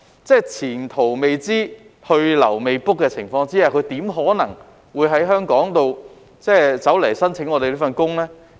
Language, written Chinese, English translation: Cantonese, 在前途未知、去留未卜的情況下，他怎可能會申請到香港工作呢？, In view of the uncertain prospects why would he want to apply for working in Hong Kong?